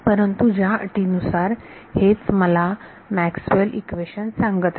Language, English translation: Marathi, But under these conditions this is what Maxwell’s equation is telling us